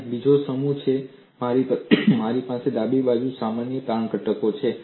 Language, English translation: Gujarati, And the other set is I have on the left hand side normal strain component